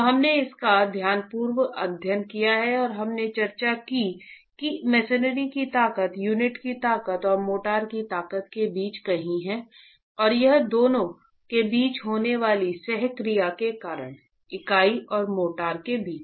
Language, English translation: Hindi, So, we have studied this carefully and we discussed that the strength of the masonry is going to lie somewhere between the strength of the unit and the strength of the motor and this is because of the coaction that occurs between the two, between the unit and the motor